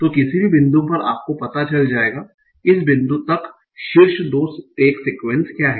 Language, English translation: Hindi, So at any point you will know what are the top 2 tax sequences till this point